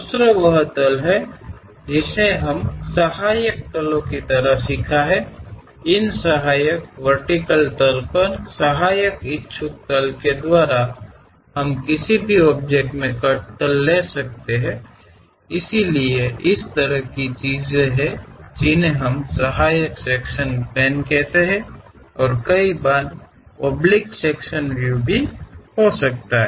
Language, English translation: Hindi, The other one is the planes what we have learned like auxiliary planes; on these auxiliary vertical plane, auxiliary inclined planes also we can have cuts; so, such kind of things are what we call auxiliary section planes and also one can have oblique sectional views also